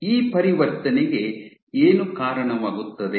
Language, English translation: Kannada, What drives this transition